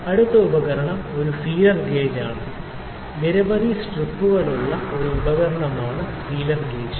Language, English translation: Malayalam, The next instrument is a feeler gauge; feeler gauge is a tool which has many strips in it